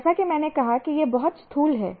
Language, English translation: Hindi, As I said, it is very gross